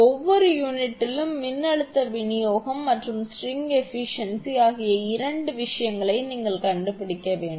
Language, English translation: Tamil, You have to find out two things, voltage distribution across each unit and string efficiency